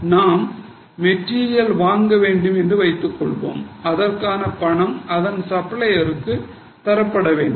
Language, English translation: Tamil, So, suppose we want to buy material, we will have to pay the supplier that is called as a material cost